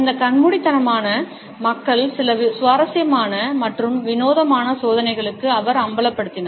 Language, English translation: Tamil, He had expose them, these blindfolded people to some interesting and rather bizarre experimentations